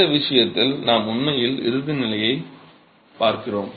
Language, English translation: Tamil, In this case we're really looking at the ultimate condition